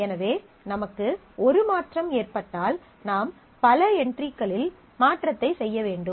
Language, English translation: Tamil, So, if I have a change, then I will have to make the change at multiple entries